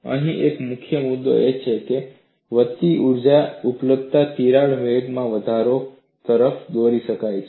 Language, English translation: Gujarati, One of the key issues here is, increased energy availability leads to increase in crack velocity